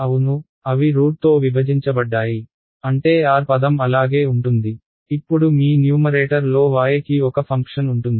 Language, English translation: Telugu, Yeah they are divided by root I mean the r term will remain as it is now your numerator will have one function of y